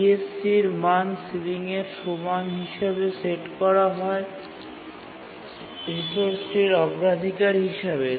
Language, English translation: Bengali, It's granted the resource and the CSEC value is set equal to the ceiling priority of the resource